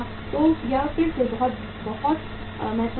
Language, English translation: Hindi, So that is again a very very important